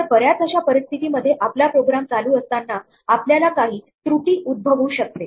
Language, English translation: Marathi, So, there are many situations in which while our program is running we might encounter an error